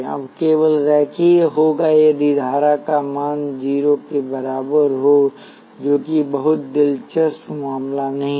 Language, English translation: Hindi, Now there will be linear only if the value of the current equals 0 that is not a very interesting case